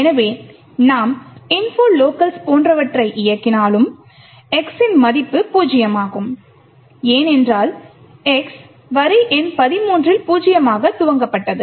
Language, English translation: Tamil, So, we could do something like info locals and this has value of x equal to zero this is because x has been initialized in line number 13 to be zero